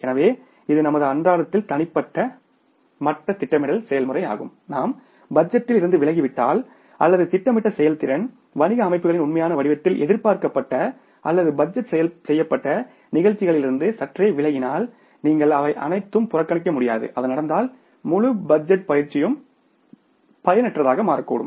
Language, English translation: Tamil, So, it means in our daily same planning process at the personal level if we deviate from the budgeted or the maybe the planned performance in the real form of the business organizations deviations from the anticipated or the budgeted performances all the times anticipated you cannot ignore it and if it happens then the entire budgetary exercise should not become futile so for that we will have to go for the flexible budget